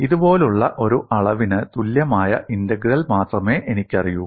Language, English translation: Malayalam, I know only the integral equal to a quantity like this